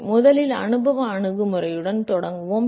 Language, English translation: Tamil, So, we will start with empirical approach first